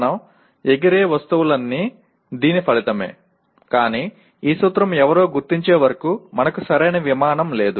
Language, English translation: Telugu, That is all our flying objects are the result of this, but until this principle somebody has identified we really did not have the proper airplane